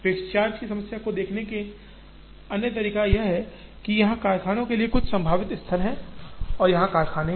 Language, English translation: Hindi, Other way to look at the fixed charge problem is to say, here are some potential sites for the factories and here are the customers